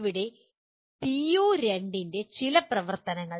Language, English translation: Malayalam, Here some activities of PO2